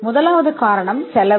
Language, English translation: Tamil, The first one is the cost